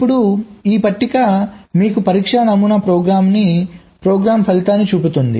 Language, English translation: Telugu, now this table shows you the result of a test pattern generation program